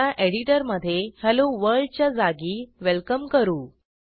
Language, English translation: Marathi, Now, In the editor, change Hello World to Welcome